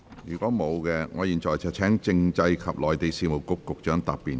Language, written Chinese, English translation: Cantonese, 如果沒有，我現在請政制及內地事務局局長答辯。, If not I now call upon the Secretary for Constitutional and Mainland Affairs to reply